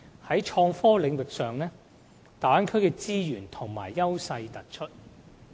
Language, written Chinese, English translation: Cantonese, 在創科領域上，大灣區的資源和優勢突出。, Regarding IT development the Bay Area possesses huge resources and an obvious advantage